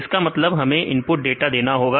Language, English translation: Hindi, That means we need to input the data